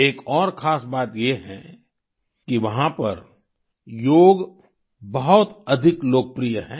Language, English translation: Hindi, Another significant aspect is that Yoga is extremely popular there